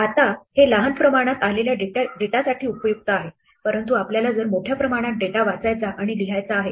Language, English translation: Marathi, Now, this is useful for small quantities of data, but we want to read and write large quantities of data